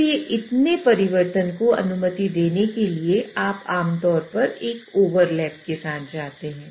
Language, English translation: Hindi, So in order to allow for that much change to happen you typically go with an overlap